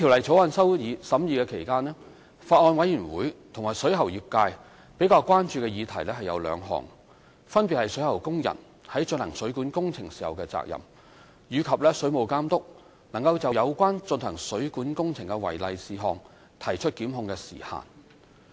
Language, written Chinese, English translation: Cantonese, 在審議《條例草案》期間，法案委員會和水喉業界比較關注的議題有兩項，分別是水喉工人在進行水管工程時的責任，以及水務監督能就有關進行水管工程的違例事項提出檢控的時限。, During the deliberations of the Bill members of the Bills Committee on the Waterworks Amendment Bill 2017 and the industry were relatively concerned about two issues ie . the responsibilities of plumbing workers in carrying out plumbing works and the time limit within which the Water Authority may institute prosecution against the non - compliances of plumbing works